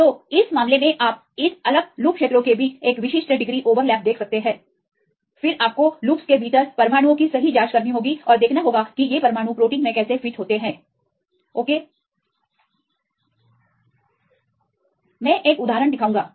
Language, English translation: Hindi, So, in this case you can see a specific degree of overlap right between this different loop regions, then you have to check the atoms right within the loops and see how these atoms fit in the protein ok